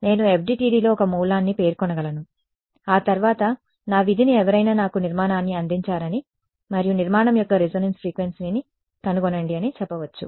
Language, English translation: Telugu, I can in FDTD I can specify a source after that what supposing my task someone gives me structure and says find out the resonate frequency of the structure